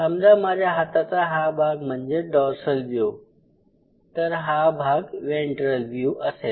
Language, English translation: Marathi, So, if this part of my hands is dorsal view and these are the ventral views